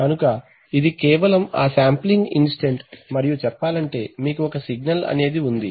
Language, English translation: Telugu, So it is just at the sampling instant and ideally speaking, so you have, you have a signal